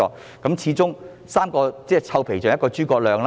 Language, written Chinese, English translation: Cantonese, 畢竟"三個臭皮匠，勝過一個諸葛亮"。, After all as the saying goes three cobblers are better than one mastermind